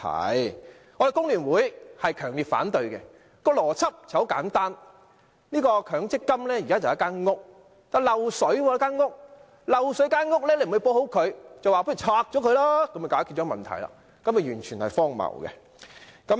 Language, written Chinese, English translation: Cantonese, 我們工聯會強烈反對，邏輯很簡單，強積金就像一間房屋，房屋漏水，不修補房屋，卻拆掉它來解決問題，這做法完全是荒謬的。, The logic is simple . MPF can be compared to a house . When the house has a leakage problem but instead of carrying out repairs to it the house is pulled down in a bid to solve the problem